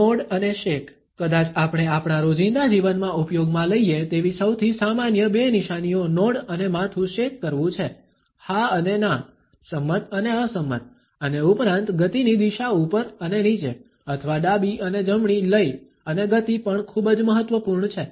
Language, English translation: Gujarati, The nod and shake, the probably most common two signs we use in our daily lives are the nod and the head shake; yes and no, agreeing and disagreeing and besides the direction of the motion up and down or left and right rhythm and speed are also very important